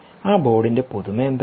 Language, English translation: Malayalam, what is the novelty now of this board